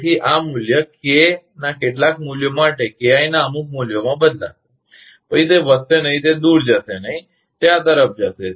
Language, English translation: Gujarati, So, this value will shift for some value of K up to certain values of KI after that, further increase it will not move away, it will go toward this side